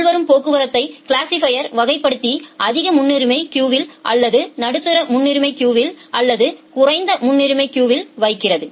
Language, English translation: Tamil, Now we have a incoming traffic, the classifier classifies the incoming traffic and put it into different queuing queues either in the high priority queue or in the medium priority queue or in the low priority queue